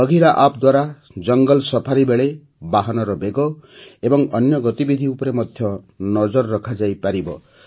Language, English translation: Odia, With the Bagheera App, the speed of the vehicle and other activities can be monitored during a jungle safari